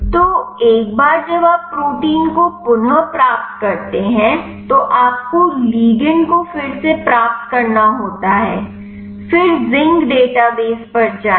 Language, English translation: Hindi, So, once you retrieve the protein then you have to retrieve the ligand, then go to zinc database then type